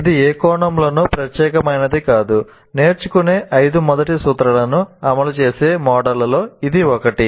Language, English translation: Telugu, This is one of the possible models which will implement all the five first principles of learning